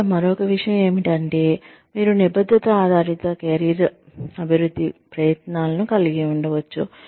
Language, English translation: Telugu, The other thing, here is, you could have commitment oriented, career development efforts